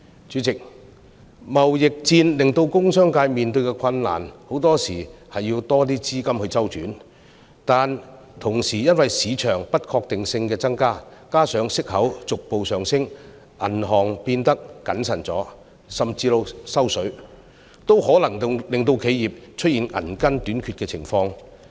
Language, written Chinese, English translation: Cantonese, 主席，貿易戰令工商界面對困難，很多時候要較多資金周轉，但同時因為市場的不確定性增加，加上息口逐步上升，銀行變得較謹慎甚至"收水"，也可能令企業出現銀根短缺的情況。, President the trade war has posed difficulties to the business sector which very often needs more liquidity to meet the cashflow requirements . At the same time due to increasing market uncertainties and the gradual rise in interest rates banks have become more prudent and even tightened credit for customers . This may lead to a liquidity crunch for enterprises